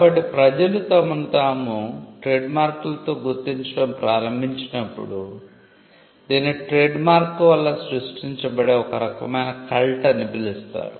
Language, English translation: Telugu, So, when people start identifying themselves with trademarks, some people have referred to this as a kind of a cult that gets created because of the trademarks themselves